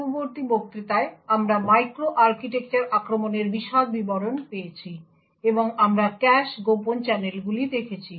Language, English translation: Bengali, In the previous lecture we got in details to microarchitecture attacks and we looked at cache covert channels